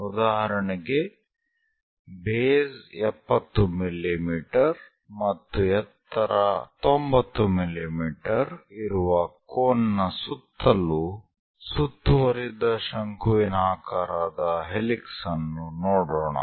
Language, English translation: Kannada, For example, let us look at a conical helix winded around a cone of base 70 mm and height 90 mm